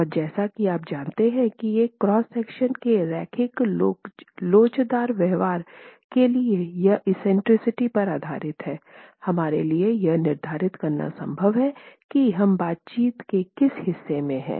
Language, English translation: Hindi, And as you know, based on this eccentricity for a linear elastic behavior of a cross section, it is possible for us to determine in which part of the interaction we are in